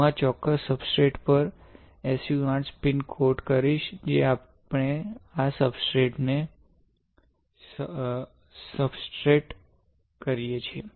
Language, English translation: Gujarati, So, I will spin coat SU 8 on to this particular substrate, which we substrate this substrate, this one alright